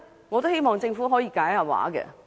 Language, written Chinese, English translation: Cantonese, 我希望政府可以解釋。, I hope the Government can give us an explanation